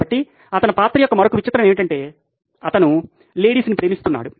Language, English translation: Telugu, So, another quirk of his character was that he’d loved his ladies